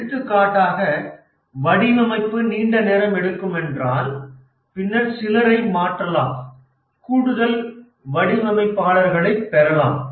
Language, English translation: Tamil, For example, that the design is taking long time, then might change the roles, might get additional designers, and so on